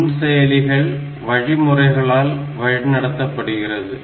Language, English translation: Tamil, So, microprocessors they are guided by the instructions